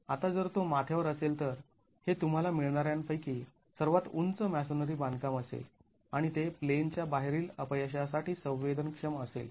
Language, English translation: Marathi, Now if that would be at the crown that would be the tallest masonry construction that you will get and that is susceptible to out of plain failure